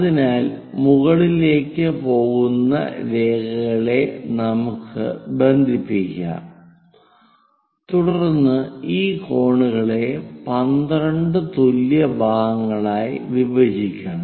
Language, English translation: Malayalam, So, let us connect the lines which are going all the way up then we have to bisect this angles into 2 equal parts